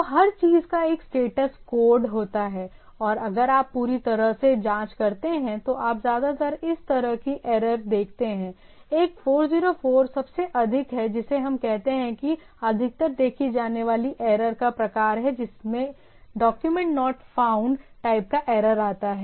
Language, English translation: Hindi, So everything has a status code and if you minutely check that whenever it keeps you whether accept the, you mostly see this sort of error by that you can decipher that; one is 404 is the most what we say mostly most seen error type of thing that the document not found type sort of error